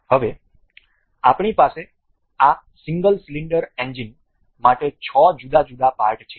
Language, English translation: Gujarati, Now, we have the 6 different parts for this single cylinder engine